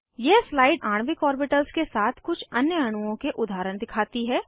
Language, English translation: Hindi, This slide shows examples of few other molecules with molecular orbitals